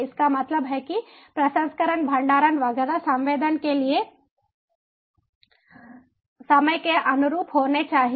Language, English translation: Hindi, that means processing, storage, etcetera should be conformant with the time for sensing